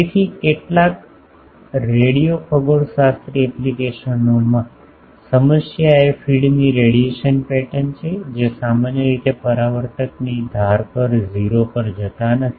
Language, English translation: Gujarati, So, in some radio astronomy applications the problem is the radiation pattern of the feed that is generally do not go to 0 at the edges of the reflector